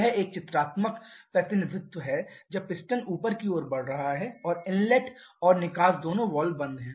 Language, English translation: Hindi, This is a pictorial representation when the piston is moving upwards both inlet and exhaust valves are closed